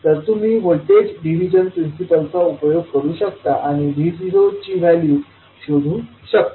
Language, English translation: Marathi, So, you can utilize the voltage division principle and find out the value of V naught in terms of Vi